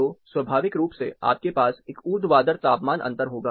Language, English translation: Hindi, So, naturally you will have a vertical temperature stratification or difference